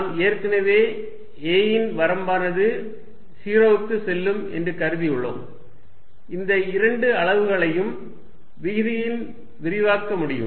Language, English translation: Tamil, Since, we are already assuming that we are going to take the limit a going to 0, I can expand these two quantities in the denominator